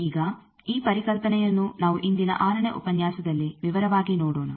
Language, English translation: Kannada, Now this concept we will see in this today's 6th lecture in detail